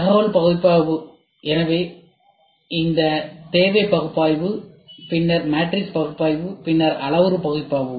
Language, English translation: Tamil, So, information analysis; so, this need analysis; then matrix analysis; then parametric analysis